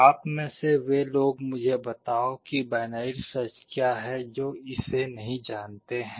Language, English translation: Hindi, Let me tell you what binary search is for the sake of those who do not know it